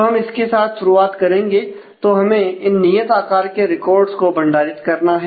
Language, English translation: Hindi, So, we will start with that; so this is what we have we store these are fixed size records